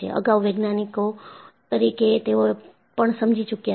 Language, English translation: Gujarati, Even before, as scientists, we have understood